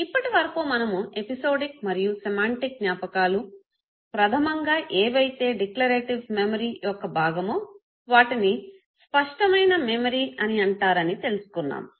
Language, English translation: Telugu, Till now we have talked about episodic and semantic memory which is basically part of the declarative memory it is also called as explicit memory